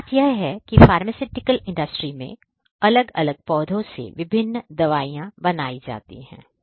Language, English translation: Hindi, So, the thing is that there are in the pharmaceutical industry, you have different plants which are making different drugs and so on